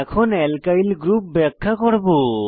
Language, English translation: Bengali, Now I will explain about Alkyl groups